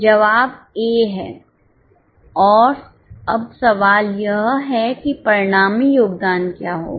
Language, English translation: Hindi, The answer is A and now the question is what will be the resultant contribution